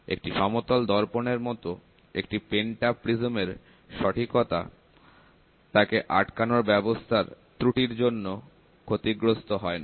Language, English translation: Bengali, Unlike a flat mirror, the accuracy of a pentaprism is not affected by the error present in the mounting arrangement